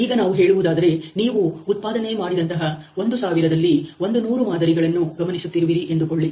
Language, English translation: Kannada, Let us say you are observing 100 samples out of thousand which have been produced